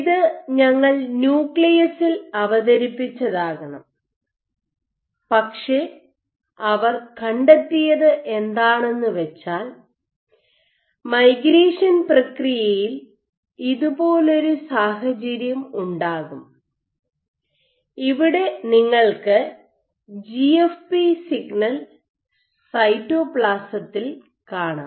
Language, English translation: Malayalam, So, this should ideally only we presented in the nucleus, but what they found was during the migration process every once in a while, they would have a situation somewhat like this, where you have the GFP signal would be present in the cytoplasm